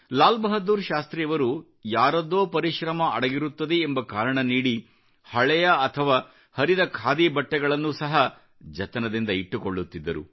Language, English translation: Kannada, It is said that LalBahadurShastriji used to preserve old and worn out Khadi clothes because some one's labour could be felt in the making of those clothes